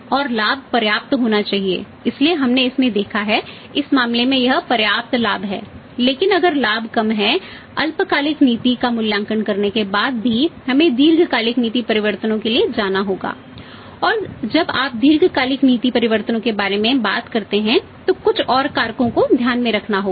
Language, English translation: Hindi, And the profit should be sufficient of substantial so we have seen in this in this case it is a substantial profit sufficient profit is there but if there is a little less amount also profit is there except that after evaluating the short term policy we will have to go for the long term policy changes and when you talk the long term policy changes some more factor have to be taken into account